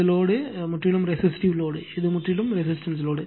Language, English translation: Tamil, This load is a purely resistive load right, this is a purely resistive load